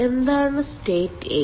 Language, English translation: Malayalam, what is state eight